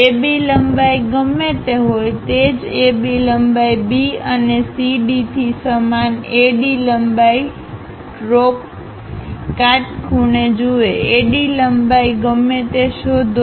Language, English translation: Gujarati, Whatever the AB length is there, locate the same AB length whatever the AD length look at the same AD length drop perpendiculars from B and CD